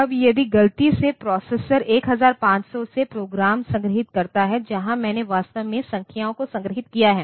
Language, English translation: Hindi, Now, if by mistake the processor is stored that the program is actually from 1500 where I have actually stored the numbers to be sorted